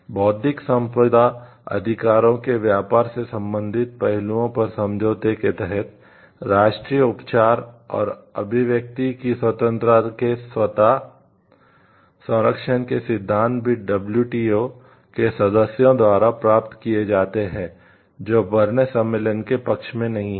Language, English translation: Hindi, Under the agreement on trade related aspects of intellectual property rights trips agreement, the principles of national treatment automatic protection and independence of protection also buying those WTO members not party to the Berne convention